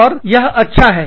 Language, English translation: Hindi, And, that is good